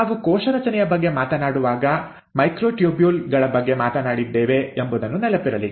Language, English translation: Kannada, Remember we spoke about microtubules when we were talking about cell structure